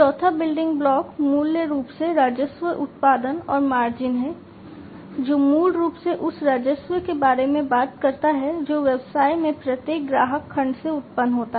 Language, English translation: Hindi, The fourth building block is basically the revenue generation and the margins, which basically talks about the revenue that is generated from each customer segment in the business